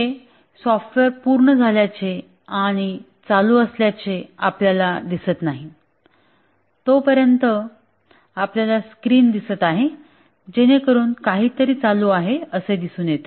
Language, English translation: Marathi, You don't see the software until you see that it is complete and running, then only you see that screens are getting displayed, it does something